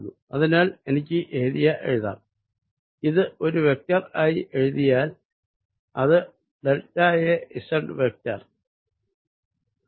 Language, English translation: Malayalam, so i can write this area if i write it as a vector, as delta a z vector